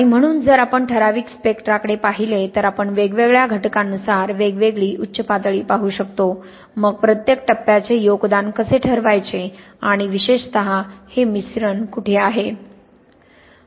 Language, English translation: Marathi, And so, if we look at a typical spectra, well we can see different Peaks according to the different element, comes is then how to determine the contribution of each phase and particularly where we have this intermixing but we will talk about that